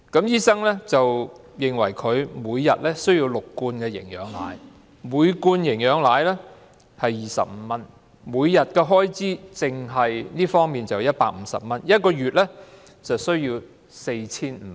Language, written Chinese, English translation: Cantonese, 醫生認為她每天需要喝6罐營養奶，每罐營養奶需費25元，每天單是這方面的開支便要150元，每月需要 4,500 元。, She had to eat through a gastric stoma and the doctor recommended that she drinks six cans of nutritional milk at 25 each daily . This item alone costs 150 daily or 4,500 monthly